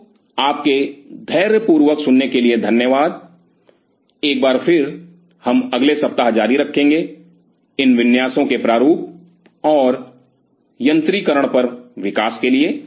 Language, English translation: Hindi, So, thanks for your patient listening, once again we will continue in the next week for the development on these layout design and instrumentation